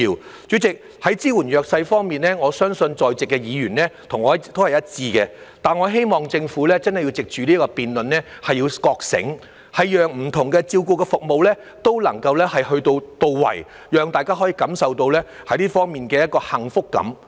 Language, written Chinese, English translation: Cantonese, 代理主席，在支援弱勢方面，我相信在席議員和我一致，但我希望政府真的要藉此辯論覺醒，讓不同的照顧服務都能到位，讓大家可以感受到這方面的幸福感。, Deputy President while I believe Members present do see eye to eye with me on supporting the underprivileged I hope that after this debate the Government will become aware of the need to ensure the effectiveness of different care services so as to bring everyone a sense of happiness